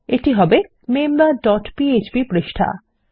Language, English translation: Bengali, Itll be the member dot php page